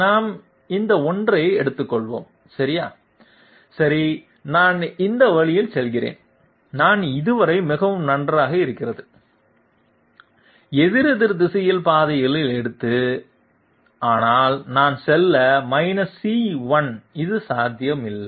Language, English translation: Tamil, Let us take this one okay, okay I go this way, I take counterclockwise path, so far so good, but I go into C1 this is not this is not possible